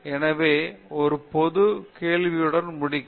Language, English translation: Tamil, So, maybe I will conclude with this little bit of general question